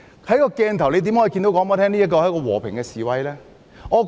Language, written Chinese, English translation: Cantonese, 怎可以說那是一場和平示威呢？, How could one say that the protest was peaceful?